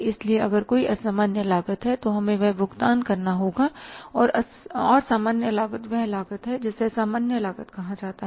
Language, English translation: Hindi, So if there is abnormal cost we have to pay that and normal cost we know is that what is the normal cost